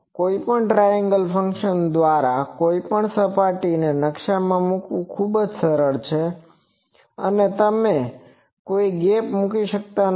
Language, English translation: Gujarati, Also it is very easy to map any surface with triangle functions you do not put any gaps etc, ok